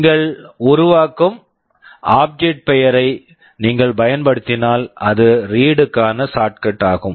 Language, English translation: Tamil, If you just use the name of the object you are creating, that is a shortcut for read